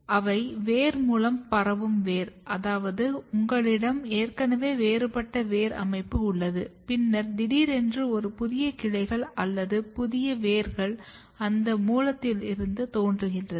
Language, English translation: Tamil, So, they are root borne root which means that you have already a differentiated root system, then suddenly a new branches or new roots are originated from that root